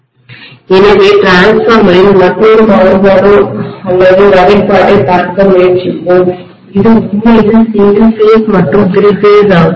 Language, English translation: Tamil, So let us try to look at another variation or classification in the transformer which is actually single phase and three phase